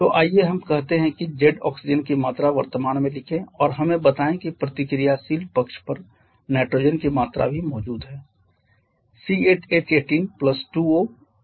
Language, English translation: Hindi, So, let us write say z amount of oxygen present and let us say a amount of nitrogen is also present on the reactant side